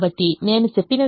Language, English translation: Telugu, so what i mentioned happens